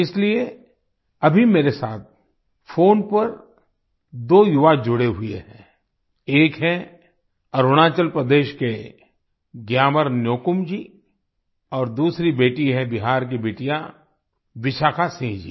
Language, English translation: Hindi, That's why two young people are connected with me on the phone right now one is GyamarNyokum ji from Arunachal Pradesh and the other is daughter Vishakha Singh ji from Bihar